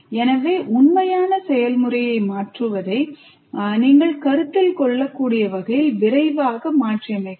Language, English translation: Tamil, It can be interactive so you can quickly adopt in a way that you might consider changing the real process